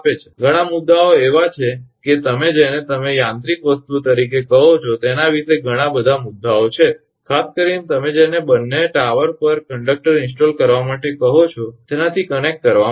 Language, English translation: Gujarati, So many issues are there so many your what you call mechanical things you have to consider particularly for connect your what you call installing conductors at both the towers